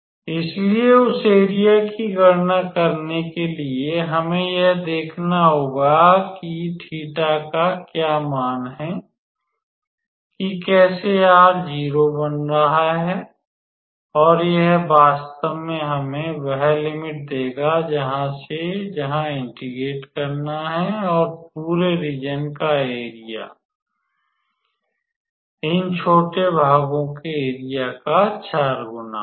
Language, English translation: Hindi, So, in order to calculate the area we have to see for what value of theta this is becoming how to say 0 r becoming 0 and that will actually give us the limit from where to where we have to integrate and the area of the entire curve will be given by 4 times the area of these small sections